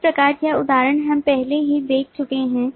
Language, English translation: Hindi, so this example we have already seen